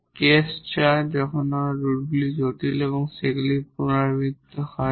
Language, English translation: Bengali, The case IV when the roots are complex and they are repeated